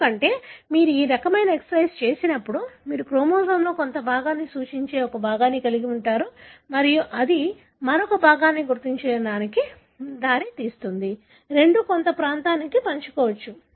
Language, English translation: Telugu, Because, when you do this kind of exercise, you would have a fragment representing a part of the chromosome and that results in the identification of another piece, both of which may share some region